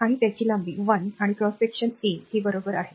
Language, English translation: Marathi, And this length l and cross sectional area of it is A, right